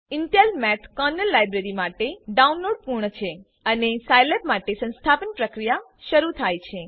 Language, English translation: Gujarati, Downloading of Intel Math Kernal Library has completed and the installation procedure for scilab has started